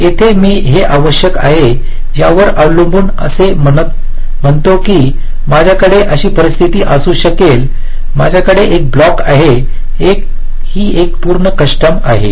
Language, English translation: Marathi, here i am saying, depending on the requirements, like i may have a scenario like this, that i have a block, this is, this is a full custom